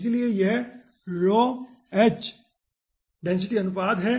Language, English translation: Hindi, so this is rho h by density ratio